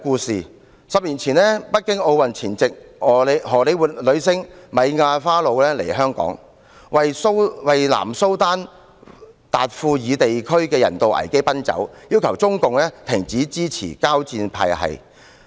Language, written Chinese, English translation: Cantonese, 十年前，在北京奧運前夕，荷李活女星米亞花露來港為南蘇丹達富爾地區的人道危機奔走，要求中共停止支持交戰派系。, At that time right before the hosting of the Beijing Olympic Games Mia FARROW a Hollywood star came to Hong Kong to talk about the humanitarian crisis in Darfur South Sudan as she appealed to the Communist Party of China to stop supporting the warring parties